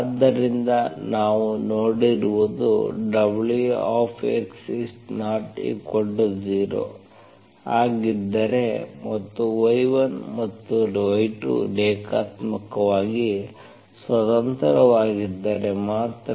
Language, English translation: Kannada, So what we have seen is wx is nonzero if and only if y1 and y2 are linearly independent